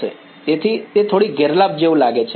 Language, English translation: Gujarati, So, that seems like a bit of a disadvantage